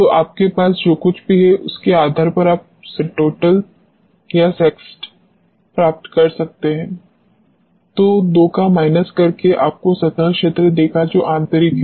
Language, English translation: Hindi, So, you can get S total or S external depending upon what you have and the minus of the 2 will give you surface area which is internal